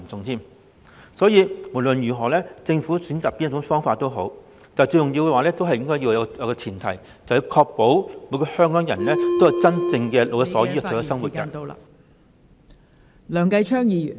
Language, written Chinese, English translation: Cantonese, 因此，無論政府選擇哪種方法也好，最重要的前提是確保每個香港人能夠享有真正老有所依的退休生活......, For these reasons regardless of which solution the Government opts for the most important premise is to ensure that every person in Hong Kong will enjoy a retirement life with the genuine provision of support and security